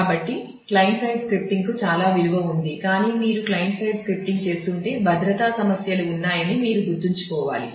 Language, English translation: Telugu, So, client side scripting has a lot of value, but you will have to have to remember that a if you are doing client side scripting then there are security issues